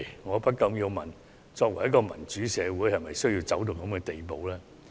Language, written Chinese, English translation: Cantonese, 我不禁要問，作為一個民主社會，是否需要走到這種地步？, I cannot help but ask should a democratic society really need to go this far?